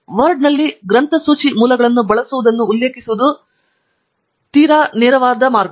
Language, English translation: Kannada, Referencing using bibliographic sources in Word is also quite straight forward